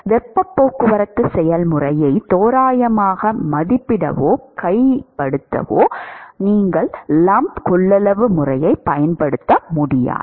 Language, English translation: Tamil, You cannot use the lumped capacitance method to approximate or to characterize the heat transport process